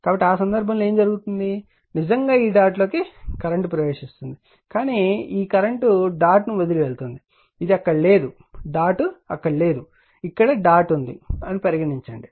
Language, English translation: Telugu, So, in that case what will happen the current I actually entering into this dot, but this I leaving the dot right this is not there this this is not there suppose dot is here you have made the dot